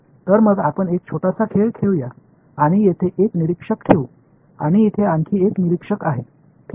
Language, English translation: Marathi, So, let us play a small game let us put one observer over here and there is another observer over here ok